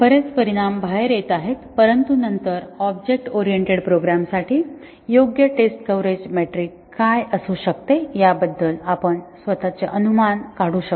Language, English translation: Marathi, These are still areas of research lot of results are coming out, but then we can make our own inference about what can be a suitable test coverage metric for object oriented programs